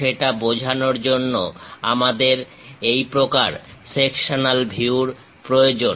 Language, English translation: Bengali, To represent that, we require this kind of sectional views